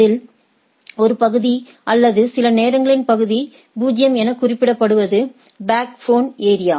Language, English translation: Tamil, One of the area or sometimes referred to as area 0 is the backbone area